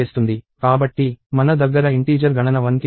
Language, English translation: Telugu, So, I have int count equals 1